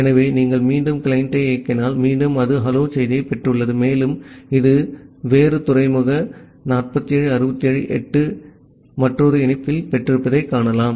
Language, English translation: Tamil, So, if you again run the client, again it has received the hello message and you can see that it has received another connection at a different port 47678